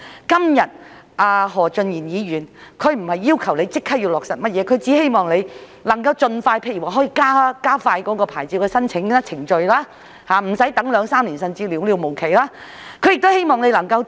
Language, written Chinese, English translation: Cantonese, 今天何俊賢議員不是要求政府立即落實甚麼措施，只希望能夠加快審批農戶興建農用構築物的申請，無須他們等待兩三年，甚至無了期地等待。, Today Mr Steven HO does not ask the Government to immediately implement any measures . He only wishes to expedite the processing of applications for the construction of agricultural structures so that the applicants do not need to wait for a few years if not endlessly